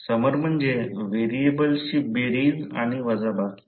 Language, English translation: Marathi, Summer means the addition and subtraction of variables